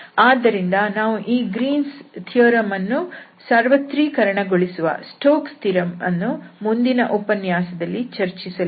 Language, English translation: Kannada, So, we will generalize this Greens theorem which is called Stokes theorem, one of its generalization that will be discussed in the next lecture